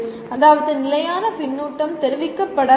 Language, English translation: Tamil, That means constant feedback has to be given